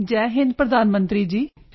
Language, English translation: Punjabi, Jai Hind, Hon'ble Prime Minister